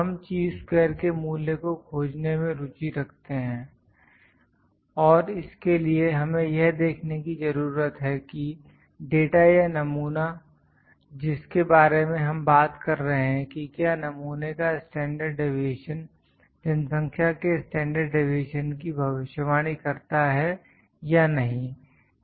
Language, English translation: Hindi, We are interested in finding the value of Chi square and to just we need to see that is the data or the sample that we are talking about does that sample that the standard deviation predicts the population standard deviation or not